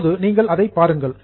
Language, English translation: Tamil, Okay, now have a look at it